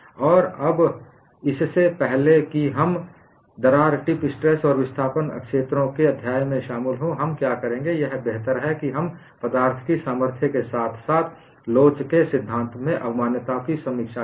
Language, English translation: Hindi, And now, what we will do is, before we get into the chapter on the crack tip stress in displacement fields, it is better that we review concepts in strength of materials as well as theory of elasticity and get into the solution for the crack tip stress fields